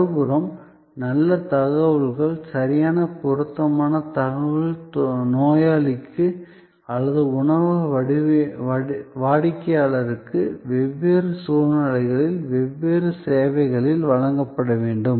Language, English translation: Tamil, And on the other hand, good information, right appropriate information will have to be provided to the patient or to the restaurant customer in different services in different circumstances